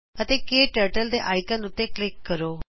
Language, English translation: Punjabi, And Click on the KTurtle icon